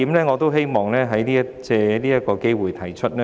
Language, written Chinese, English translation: Cantonese, 我希望藉此機會提出一點。, I would like to take this opportunity to raise one point